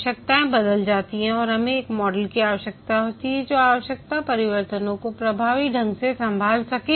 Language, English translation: Hindi, So the requirements change due to various reasons and we need a model which can effectively handle requirement changes